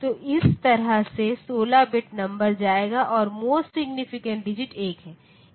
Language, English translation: Hindi, So, this way that 16 bit number will go and the most significant digit there is 1